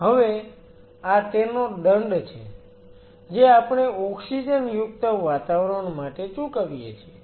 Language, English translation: Gujarati, That is the penalty we pay for being an oxygenated environment